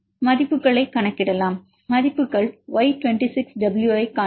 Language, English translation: Tamil, Let us calculate the values see Y26W what is the value